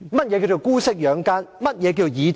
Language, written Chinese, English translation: Cantonese, 甚麼是姑息養奸？, What is condoning the evil?